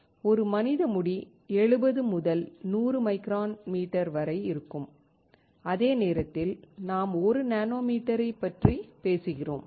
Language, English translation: Tamil, A human hair is about 70 to 100 micrometers, while we are talking about about 1 nanometer